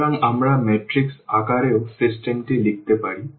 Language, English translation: Bengali, So, we can write down the system in the matrix form as well